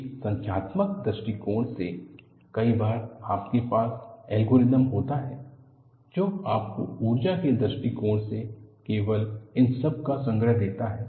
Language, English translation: Hindi, In a numerical approach, many times, you have algorithms, which give you, from energy point of view, only the bundle of all this